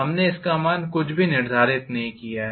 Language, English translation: Hindi, We have not quantified anything